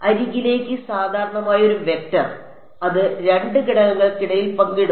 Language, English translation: Malayalam, A vector which is normal to the edge, that is shared between 2 elements